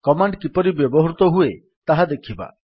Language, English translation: Odia, Let us see how the command is used